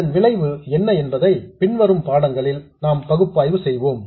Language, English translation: Tamil, What that effect is we will analyze in the following lessons